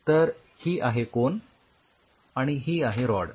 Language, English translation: Marathi, So, this is your Cone and this is your Rod